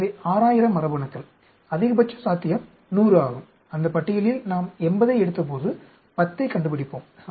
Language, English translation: Tamil, So, 6000 genes; maximum possible is 100, when we took out 80 in that list, we find 10